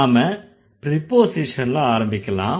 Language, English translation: Tamil, Let's start with the preposition